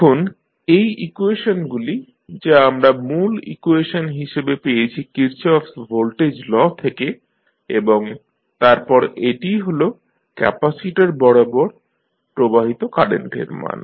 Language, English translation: Bengali, Now, the equations which we have got this main equation which we got from the Kirchhoff’s voltage law and then this is the value of current which is flowing through the capacitor